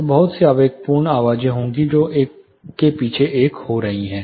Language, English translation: Hindi, So, there will be lot of impulsive sounds which are happening one behind another